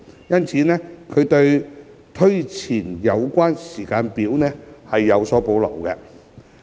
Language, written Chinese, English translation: Cantonese, 因此，他們對推前有關時間表有所保留。, Therefore they had reservations about advancing the timetable